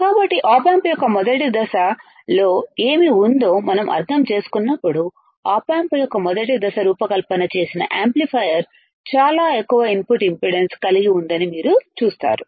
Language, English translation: Telugu, So, when we understand what is there in the first stage of op amp, you will also see that the amplifier that is design the first stage of op amp has extremely high input impedance